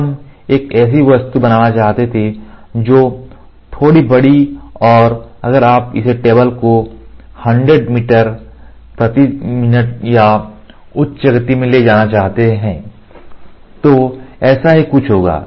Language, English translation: Hindi, The thing is when we wanted to make an object which is slightly large and if you want to move this table in a high speed maybe 100 meters per minute or something like that